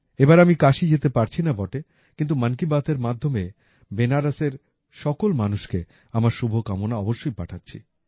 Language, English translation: Bengali, This time I'll not be able to go to Kashi but I am definitely sending my best wishes to the people of Banaras through 'Mann Ki Baat'